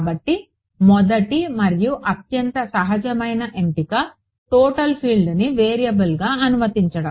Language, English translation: Telugu, So, the first and the most intuitive choice is to allow the total field to be the variable ok